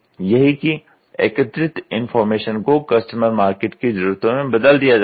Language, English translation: Hindi, That is, the information gathered is interpreted into customer or market needs